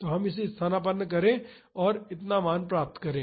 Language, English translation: Hindi, So, substitute it and get the value as this much